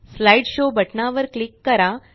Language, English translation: Marathi, Click on the Slide Show button